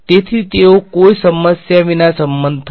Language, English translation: Gujarati, So, they will agree no problem